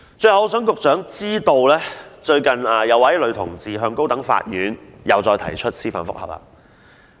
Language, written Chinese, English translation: Cantonese, 最後，我想讓局長知道，最近再有一名女同志向高等法院提出司法覆核。, Finally I wish to let the Secretary know that one more lesbian person has recently applied to the High Court for judicial review